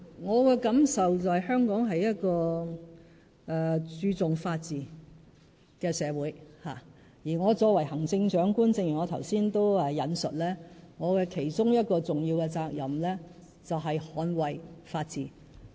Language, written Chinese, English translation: Cantonese, 我的感受，就是香港是一個注重法治的社會，而我作為行政長官——正如我剛才也引述——我其中一項重要的責任，就是捍衞法治。, My feeling is that Hong Kong is a society upholding the rule of law and as I said just now one of my important responsibilities as the Chief Executive is to defend the rule of law